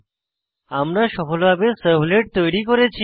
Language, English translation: Bengali, Thus, we have successfully created a servlet